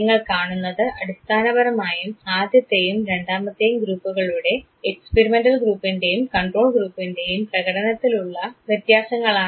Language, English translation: Malayalam, And what you see is basically the difference in the performance of the first and the second group the experimental and the control group